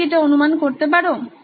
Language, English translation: Bengali, Have you guessed it